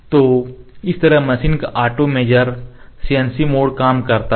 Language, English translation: Hindi, This is how the auto measure the CNC mode of the machine works